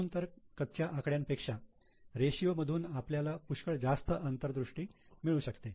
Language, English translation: Marathi, That is why much more insights can be drawn from ratios than what can be drawn from raw statements